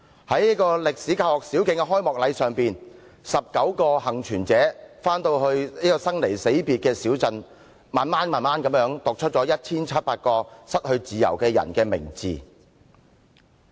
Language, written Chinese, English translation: Cantonese, 在該歷史教學小徑的開幕禮上 ，19 個幸存者回到他們生離死別的小鎮，一一讀出 1,700 個失去自由的人的名字。, In the opening ceremony of the memorial path 19 survivors returned to the town where they were once separated with their families and read out the names of 1 700 persons who had lost their freedom